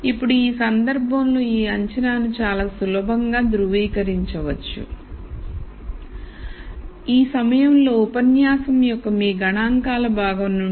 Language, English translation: Telugu, Now, in this case, this assumption can quite easily be verified right at this point from your statistics part of the lecture